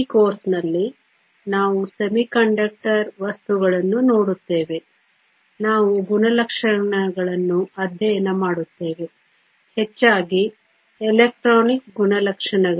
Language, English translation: Kannada, In this course, we will look at semiconductor materials, we will study the properties; mostly the electronic properties